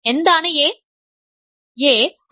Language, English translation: Malayalam, What is A